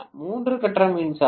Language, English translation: Tamil, The three phase power supply